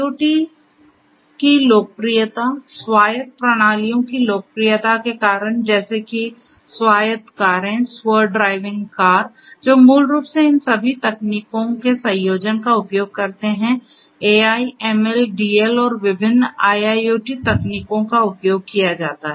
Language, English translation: Hindi, Due to the advent, the popularity of IoT for instance, due to the popularity of autonomous systems for example, you know autonomous cars, self driving cars which basically use a combination of all of these technologies AI, ML, DL plus different different IIoT technologies are used